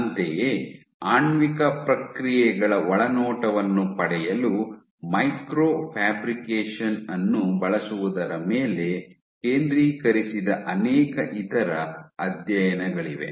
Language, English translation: Kannada, Similarly, there are multiple other studies which are focused on using micro fabrication to glean insight into molecular processes